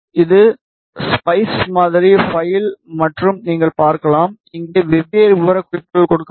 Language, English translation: Tamil, This is the spice model file and as you can see there are different specifications which are mentioned over here